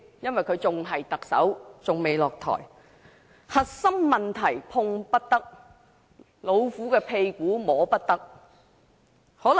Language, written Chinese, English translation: Cantonese, 由於梁振英還未下台，仍然是特首，核心問題碰不得，"老虎的屁股摸不得"。, As LEUNG has not stepped down he is still the Chief Executive and as such the core issues cannot be touched upon just like a tigers tail should never be pulled